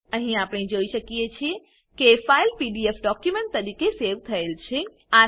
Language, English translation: Gujarati, Here we can see the file is saved as a PDF document